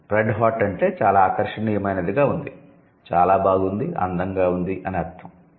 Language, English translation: Telugu, Red hot means something which is extremely attractive, very nice, beautiful